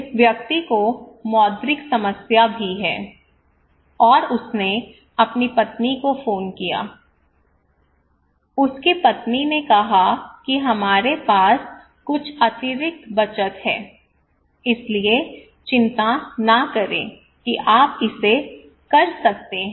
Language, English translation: Hindi, This person also have monetary problem, and he called his wife, his wife said that we have some savings extra savings so do not worry you can do it